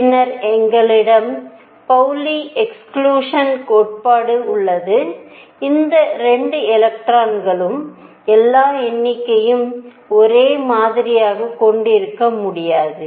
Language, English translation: Tamil, And then we have the Pauli Exclusion Principle, that no 2 electrons can have all numbers the same